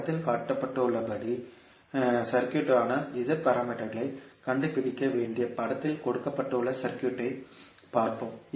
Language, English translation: Tamil, Let us see the circuit which is given in the figure we need to find out the Z parameters for the circuit shown in the figure